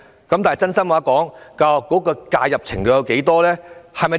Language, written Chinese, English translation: Cantonese, 坦白說，教育局的介入程度有多大？, Frankly speaking to what extent has the Education Bureau intervened?